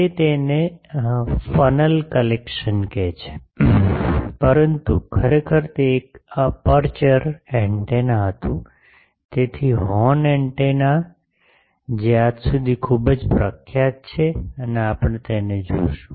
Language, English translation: Gujarati, He called it collecting funnel, but actually it was an aperture antenna, so horn antenna which is very popular till today and we will see it